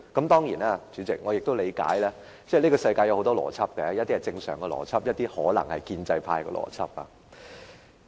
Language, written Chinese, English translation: Cantonese, 當然，主席，我也理解，這個世界有很多種邏輯，有些是正常的邏輯，有些可能是建制派的邏輯。, Of course President I also understand that there are many kinds of logic in this world . While some kinds of logic are normal there may also be a logic adopted by DAB